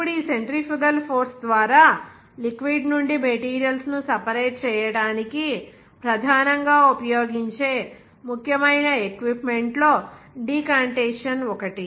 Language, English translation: Telugu, Now, decantation is one of the important equipment which is primarily used for separating materials from the liquid by means of this centrifugal force